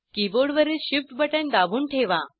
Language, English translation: Marathi, Hold the Shift button on the keyboard